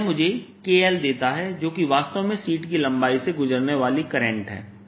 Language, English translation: Hindi, so this gives me k, l, which is the current, indeed passing through length l of the sheet